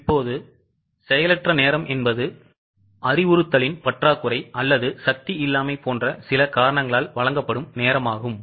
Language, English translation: Tamil, Now, idle time is a time which is wasted because of some reason like lack of instruction or lack of power etc